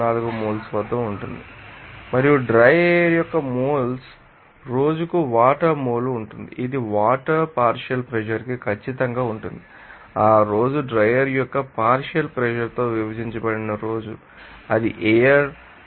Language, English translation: Telugu, 024 moles there and the moles of water a day by moles of dry air you know that will be sure to you know partial pressure of water at day divided by you know partial pressure of dryer there then it will be coming as air 2